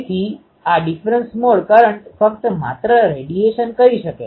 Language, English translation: Gujarati, So, this differential mode current only can radiate